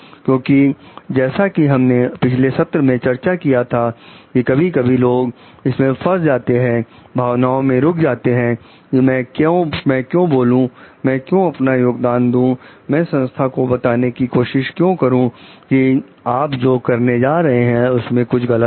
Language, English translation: Hindi, Because as we discussed in the last sessions like sometimes people get stuck into this blocked into this feeling why should I speak up, why I should I contribute, why should I try to tell the organization like you are going to do like something is wrong over here